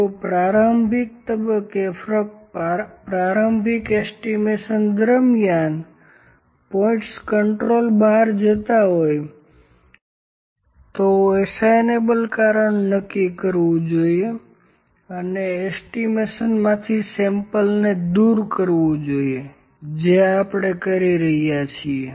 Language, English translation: Gujarati, If points are out of control during the initial phase that is during the initial estimation only, the assignable cause should be determine and the sample should be removed from the at estimation that we have been doing